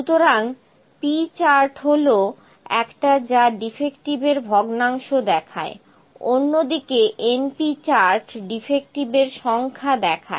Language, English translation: Bengali, It shows the fraction defective and np chart it shows the number of defectives